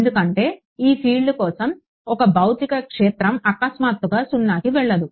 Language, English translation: Telugu, Because, for a field a field a physical field cannot abruptly go to 0